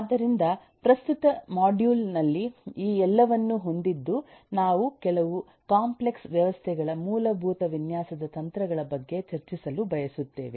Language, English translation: Kannada, so, equipped with all these eh, in the current module we would like to discuss about some basic strategies for design of complex systems